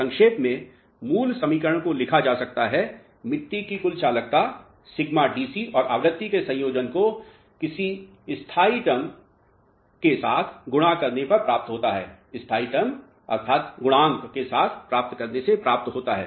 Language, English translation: Hindi, So, in short what the basic equation can represented as is, the total conductive of the soil mass would be combination of sigma DC and some combination of frequency multiplied by some constant term alright